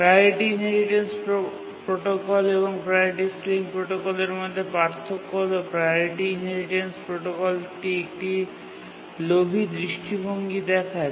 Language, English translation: Bengali, To look at the difference between the Priority Inheritance Protocol and the Priority Sealing Protocol, the Priority Inheritance Protocol is a greedy approach